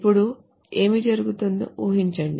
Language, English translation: Telugu, You can see what will happen